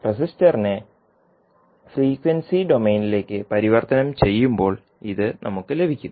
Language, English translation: Malayalam, So, this we get when we convert resister into frequency s domain